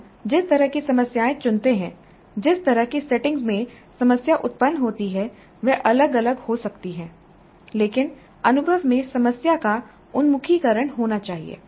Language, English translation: Hindi, Because the kind of problems that we choose, the kind of setting in which the problem is posed could differ but the experience must have a problem orientation